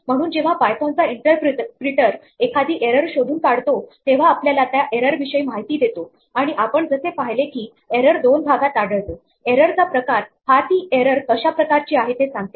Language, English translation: Marathi, So, when the python interpreter detects an error it gives us information about this error and as we saw it comes in two parts, there is the type of the error give what kind of error it is